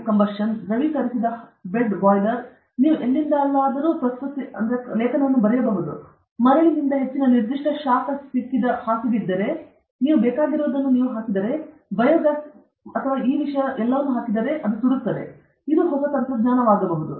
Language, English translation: Kannada, So, invention of new technology the fluidized bed combustion, the fluidized bed boiler where you can burn anything; if you have a bed which has got a high specific heat made of sand, then you put whatever you want, you put biogas, this thing and all that, it will burn; this is a new technology